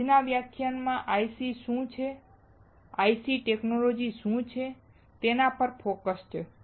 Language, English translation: Gujarati, The today's lecture is focused on what are ICs and what are IC technologies